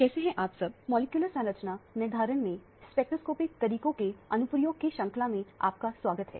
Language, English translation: Hindi, Hello, welcome to the course on Application of Spectroscopic Methods in Molecular Structure Determination